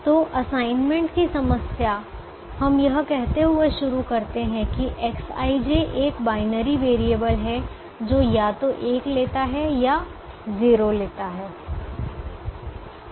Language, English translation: Hindi, so assignment problem: we begin by saying that x i j is a binary variable that takes either one or it takes zero